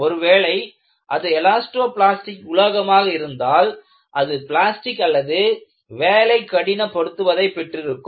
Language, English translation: Tamil, If it is an elastoplastic material, it will either become plastic or it will have some work hardening